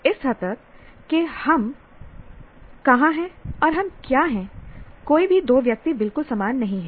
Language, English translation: Hindi, To that extent, finally where we are and what we are, no two persons are exactly the same